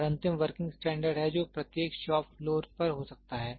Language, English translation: Hindi, And the last one is the working standard which can be at every shop floor